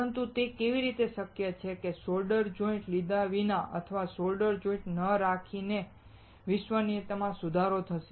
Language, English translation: Gujarati, But how is it possible that without having solder joints or not having solder joints will improve reliability